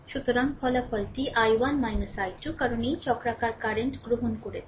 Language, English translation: Bengali, So, resultant is I 1 minus I 2 because we have taken this cyclic current, right